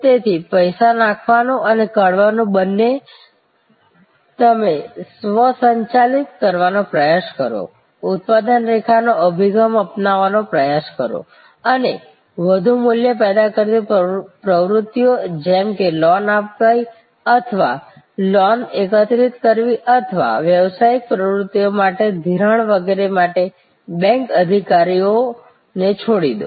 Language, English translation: Gujarati, So, both putting in and take out money, you try to automate, try to adopt the production line approach and leave the bank executives for more value generating activities like giving loans or collecting loans or financing of business activities and so, on